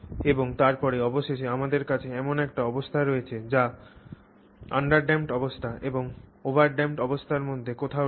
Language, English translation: Bengali, And then finally we have a version which is sort of somewhere between the under damped condition and the over damped condition